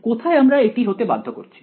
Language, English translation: Bengali, Where all are we enforcing this